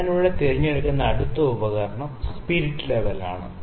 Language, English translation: Malayalam, So, next instrument I will pick here is spirit level